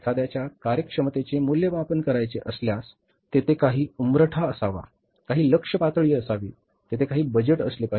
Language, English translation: Marathi, See, if you want to evaluate the performance of somebody, there should be some threshold level, there should be some target level, there should be some budget